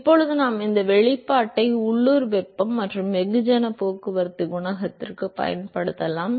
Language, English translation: Tamil, Now we can use this expression for local heat and mass transport coefficient